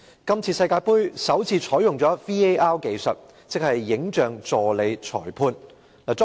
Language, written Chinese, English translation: Cantonese, 這次世界盃首次採用 "VAR" 技術，即"影像助理裁判"。, This year the World Cup Finals has adopted the VAR technology for the very first time